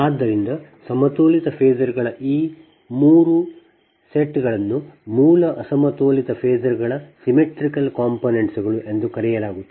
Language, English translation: Kannada, so therefore these three sets of balanced phasors are called symmetrical components of the original unbalanced phasor